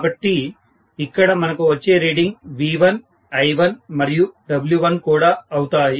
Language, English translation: Telugu, So what I get as the reading will be V1, I1 and maybe W1